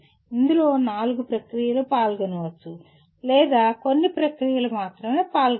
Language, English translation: Telugu, All the four processes may be involved or only some processes are involved